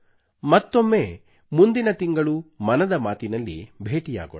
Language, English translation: Kannada, We shall meet once again in another episode of 'Mann Ki Baat' next month